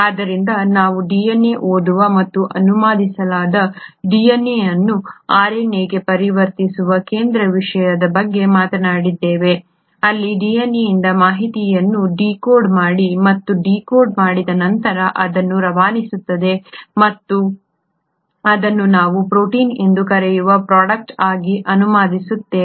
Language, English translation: Kannada, So we did talk about the central thematic that is DNA is read by and translated DNA is converted to RNA where kind of decodes the information from DNA and having decoded it, it then passes it on and translates it into a product which is what we call as the protein